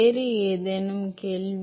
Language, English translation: Tamil, Any other question